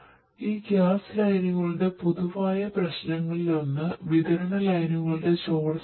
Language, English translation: Malayalam, So, one of the common problems with these gas lines the distribution lines is leakage